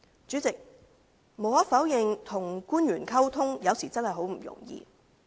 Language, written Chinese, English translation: Cantonese, 主席，無可否認，跟官員溝通，有時真的十分不容易。, President it is undeniable that sometimes communication is really very difficult with the officials